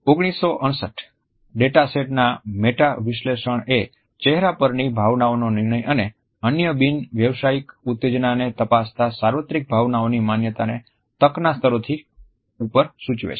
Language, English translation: Gujarati, ” A meta analysis of 168 data sets examining judgments of emotions in the face and other nonverbal stimuli indicated universal emotion recognition well above chance levels